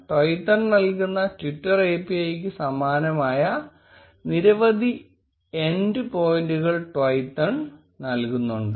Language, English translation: Malayalam, There are several end points which Twython provides which are very similar to the twitter API itself